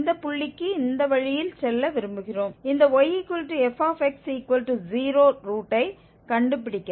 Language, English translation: Tamil, We want to go in this way to this point to find the root of this y is equal to, f x equal to 0